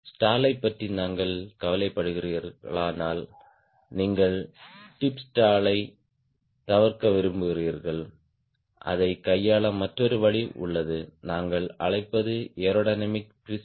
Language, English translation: Tamil, if we are bothered about stall you going to avoid tip stall, there is another way of handling it is what we call is aerodynamic twist